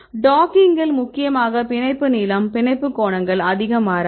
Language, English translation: Tamil, Because the docking mainly bond lengths bond angles would not change much